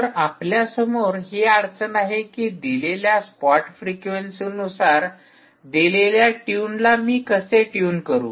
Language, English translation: Marathi, the problem is: how do i tune to a given tune, to a given spot frequency